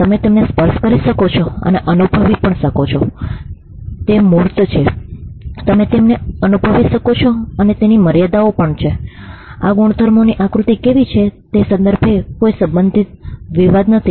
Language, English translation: Gujarati, You can touch and feel them, they are tangible, you can feel them, there are borders to it, there is no possible dispute with regard to where the contours of these properties are